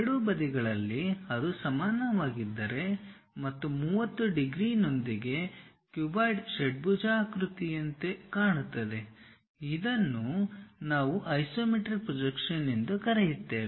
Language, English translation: Kannada, On both sides if it is equal and making 30 degrees with the horizontal and the entire object we orient in such a way that a cuboid looks like a hexagon such kind of projection what we call isometric projection